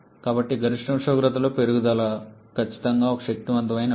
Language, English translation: Telugu, So, increase in the maximum temperature definitely is a potent option